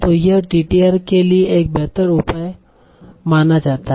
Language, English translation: Hindi, So that is considered to be a better measure for TTR